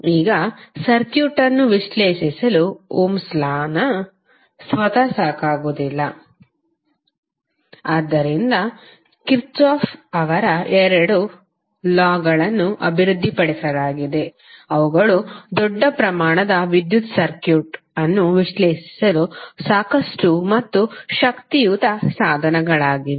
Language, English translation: Kannada, Now, the Ohm’s Law itself is not sufficient to analyze the circuit so the two laws, that is Kirchhoff’s two laws were developed which are sufficient and powerful set of tools for analyzing the large variety of electrical circuit